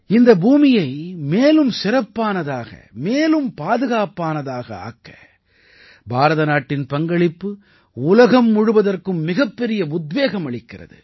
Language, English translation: Tamil, India's contribution in making this earth a better and safer planet is a big inspiration for the entire world